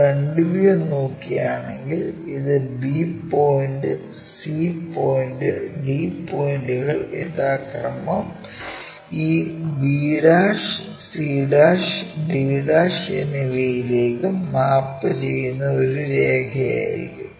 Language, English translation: Malayalam, So, top view it will be like that if we are looking from front view it will be just a line where b point, c point, d points mapped to this b', c', d' respectively